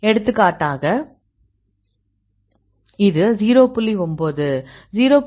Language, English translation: Tamil, For example this is 0